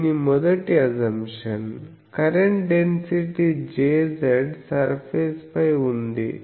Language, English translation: Telugu, So, the first assumption of this is the current density J z is on surface